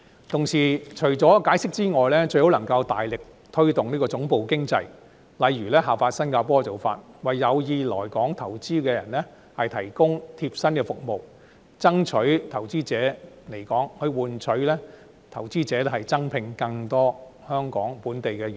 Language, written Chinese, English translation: Cantonese, 同時，除了解釋之外，最好能夠大力推動總部經濟，例如效法新加坡的做法，為有意來港投資的人士提供貼身服務，爭取投資者來港，以換取投資者增聘更多香港本地員工。, At the same time apart from explanation it is also advisable to promote headquarters economy for example by following in Singapores footsteps to provide personalized services to those interested in investing in Hong Kong with a view to attracting investors to Hong Kong in exchange for their recruitment of more local staff